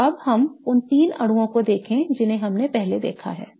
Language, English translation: Hindi, Okay, so now let us look at the three molecules that we have seen before